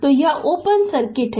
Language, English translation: Hindi, So, it is open circuit